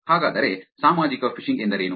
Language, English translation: Kannada, So, what is social phishing